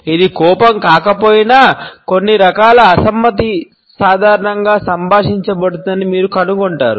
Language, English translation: Telugu, Even if it is not an anger, you would find that some type of disapproval is normally communicated